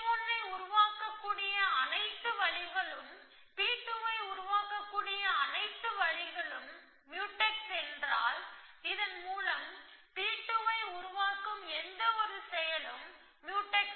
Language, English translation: Tamil, If all ways that P 1 can be produce and all way is Mutex with all ways that P 2 can be produce, and by this mean any action with produces P 2, if Mutex with every other action with produces P 2 essentially